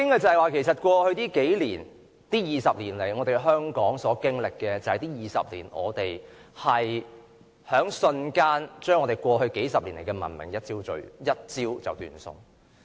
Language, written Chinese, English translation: Cantonese, 在過去20年以來，香港所經歷的，就是我們在這20年內把過去數十年的文明一朝斷送。, Well what Hong Kong has experienced over the past 20 years is the wholesale loss of our civilized life nurtured over decades